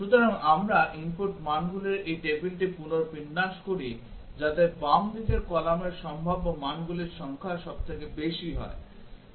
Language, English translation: Bengali, So, we rearrange this table of input values such that the left most column has the largest number of possible values that it takes